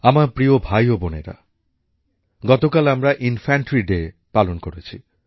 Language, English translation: Bengali, My dear brothers & sisters, we celebrated 'Infantry Day' yesterday